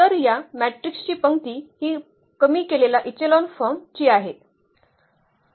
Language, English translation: Marathi, So, with this matrix again we will reduce it to the row reduced echelon forms